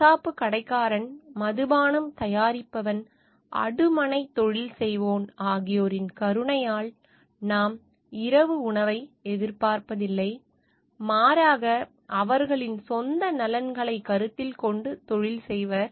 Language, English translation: Tamil, It is not from the benevolence of the butcher, the brewer, or the baker, that we expect our dinner, but from their regard to their own interests